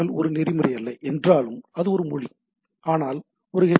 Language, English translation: Tamil, Though HTML is not a protocol it is a language but it comes hence in an with HTTP